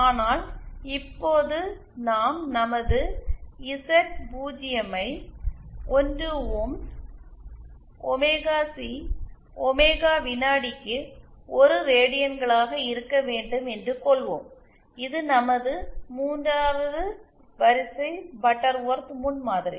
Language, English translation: Tamil, But for now we shall be considering our Z0 to be 1 ohms, omega C to be, omega should be 1 radians per second and this is our 3rd order Butterworth prototype